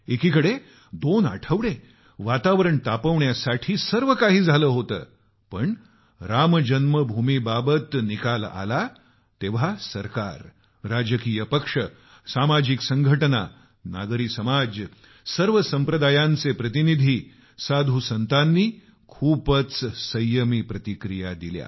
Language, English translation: Marathi, On the one hand, the machinations went on to generate tension for week or two, but, when the decision was taken on Ram Janmabhoomi, the government, political parties, social organizations, civil society, representatives of all sects and saints gave restrained and balanced statements